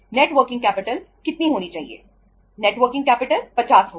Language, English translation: Hindi, Net working capital is going to be that is 50